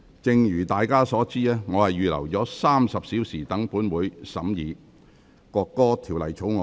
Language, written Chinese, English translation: Cantonese, 正如大家所知，我預留了約30小時讓本會審議《國歌條例草案》。, As Members are aware I have reserved about 30 hours for this Council to consider the National Anthem Bill